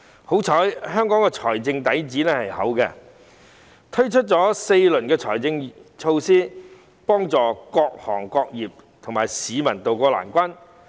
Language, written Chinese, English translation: Cantonese, 幸好香港的財政底子豐厚，推出了4輪財政措施，幫助各行各業和市民渡過難關。, Fortunately with its abundant fiscal reserves Hong Kong has launched four rounds of fiscal measures to help all sectors and the public tide over the difficulties